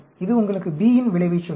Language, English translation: Tamil, This will tell you effect of B